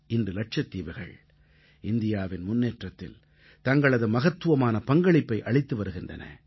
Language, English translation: Tamil, Today, Lakshadweep is contributing significantly in India's progress